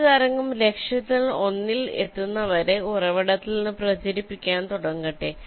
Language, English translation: Malayalam, let a wave start propagating from the source till it hits one of the targets